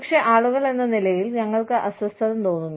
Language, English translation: Malayalam, But, we as people, feel uncomfortable